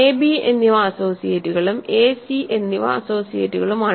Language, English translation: Malayalam, So, a and b are associates and a and c are associates